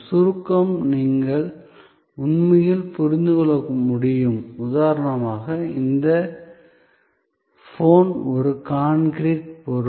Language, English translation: Tamil, Abstractness you can really understand there is for example, this phone is an concrete object